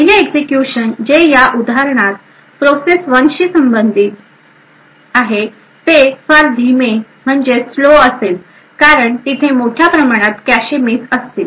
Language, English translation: Marathi, The 1st execution which in this example corresponds to the process one would thus be very slow due to the large number of cache misses that occurs